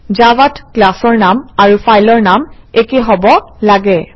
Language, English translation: Assamese, In Java, the name of the class and the file name should be same